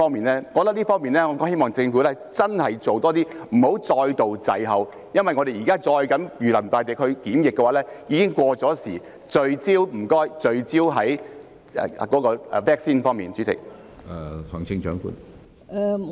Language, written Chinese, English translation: Cantonese, 我覺得政府在這方面真的要做多一點，不要再度滯後，因為現時我們再這樣如臨大敵地進行檢疫已經過時，所以拜託聚焦在 vaccine 方面。, I reckon that the Government should really make more efforts in this regard and stop lagging behind again . Since it is well past the time to be all tensed up and conduct testing like this please focus on the vaccines